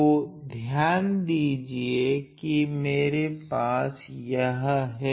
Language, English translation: Hindi, So, notice that I have this